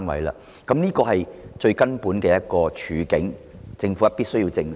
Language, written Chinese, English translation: Cantonese, 這是我們面對的根本處境，政府必須正視。, It is the fundamental situation we are facing and the Government must address it squarely